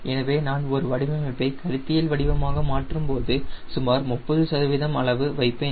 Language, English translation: Tamil, so when i am conceptualizing a design i will keep around thirty percent